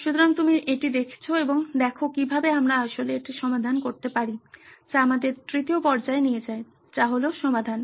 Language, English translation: Bengali, So you are going to look at this and see how might we actually solve this, which leads us to the third stage which is solution